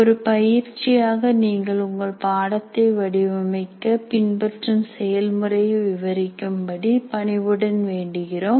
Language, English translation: Tamil, And as an exercise, we request you to describe the process you follow in designing your course, whatever you are following